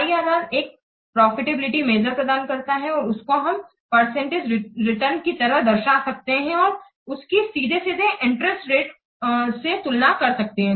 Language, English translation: Hindi, IRR provides a profitability measure as a percentage return that is directly comparable with interest rates